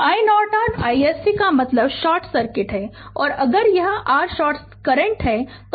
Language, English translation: Hindi, So, i Norton i SC means if you short circuit it and if this is your short circuit current